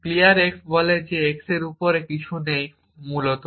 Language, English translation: Bengali, So, clear x will remain true after that essentially